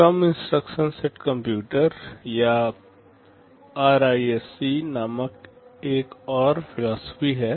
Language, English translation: Hindi, There is another philosophy called reduced instruction set computers or RISC